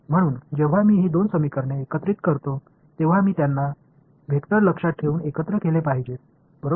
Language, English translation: Marathi, So, when I combine these two equations I must combine them keeping the vectors in mind right